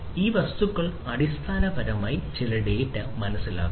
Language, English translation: Malayalam, So, these objects basically will sense certain data